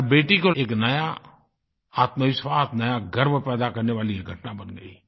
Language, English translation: Hindi, It became an incident to create a new selfconfidence and a feeling of self pride in every daughter